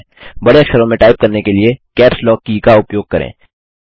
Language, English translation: Hindi, Use the Caps Lock key to type capital letters